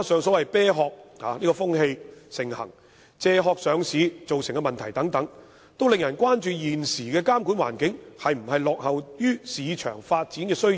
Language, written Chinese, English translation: Cantonese, 此外，"啤殼"風氣盛行，由"借殼"上市造成的問題等，都令人關注現時的監管環境是否落後於市場發展的需要。, Furthermore due to the prevalence of shell companies and problems associated with backdoor listing people are concerned about whether our existing regulation is lagging behind the development needs of the market